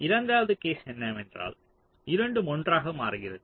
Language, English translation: Tamil, second case is that both are switching together